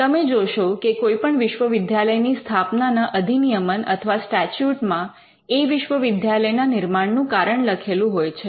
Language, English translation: Gujarati, So, you will see that the statute or the establishing enactment of any university would mention the reason, why the university was created